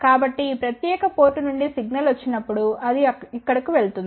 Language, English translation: Telugu, So, when the signal comes from this particular port it goes over here